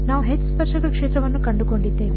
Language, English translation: Kannada, We have finding H tangential field